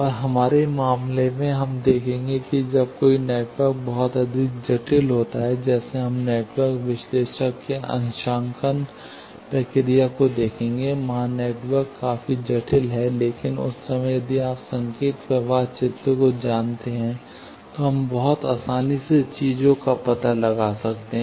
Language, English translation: Hindi, And, in our case, we will see that, when a network gets very much complicated, like, we will see the network analyzers’ calibration procedure, there, the network is quite complicated; but that time, if you know signal flow graph, we can very easily find out the things